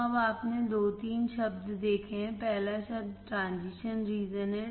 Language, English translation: Hindi, So, now you have seen two three words, first word is transition region